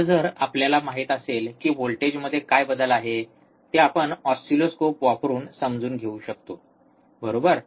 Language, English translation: Marathi, So now if we know what is the change in the voltage, that we can understand using oscilloscope, right